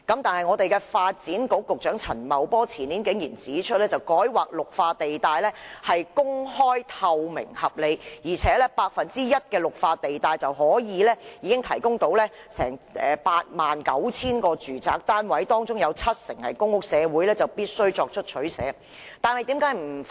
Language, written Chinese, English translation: Cantonese, 可是，發展局局長陳茂波前年竟然指出，改劃綠化地帶是公開、透明、合理的，而且僅 1% 的綠化地帶便可提供 89,000 個住宅單位，而且其中七成是公屋，社會必須作出取捨。, Nevertheless Secretary for Development Paul CHAN surprisingly said two years ago that rezoning the green belt areas was an open transparent and reasonable measure and only about 1 % of the green belt sites is enough to provide 89 000 residential flats over 70 % of which would be public housing and the community had to accept trade - off